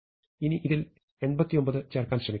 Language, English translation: Malayalam, So, now I must try to insert 89 into this